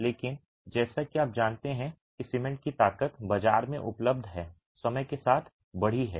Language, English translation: Hindi, But as you know, the strength of cement has what is available in the market increased over time